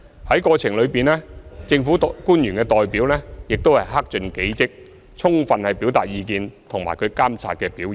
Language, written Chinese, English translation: Cantonese, 在過程中，政府的代表亦克盡己職，充分表達意見和監察表現。, Also the Government representatives have also dutifully fulfilled their roles fully expressed their views and monitored MTRCLs performance throughout